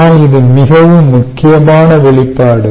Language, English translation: Tamil, but this is an extremely important expression